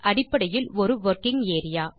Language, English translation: Tamil, Worksheet is basically a working area